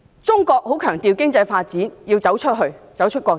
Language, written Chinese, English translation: Cantonese, 中國很強調經濟發展，要走出國際。, China puts much emphasis on economic development and going global